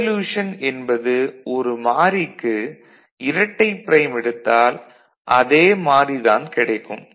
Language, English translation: Tamil, Involution so, double prime, double complement is this variable itself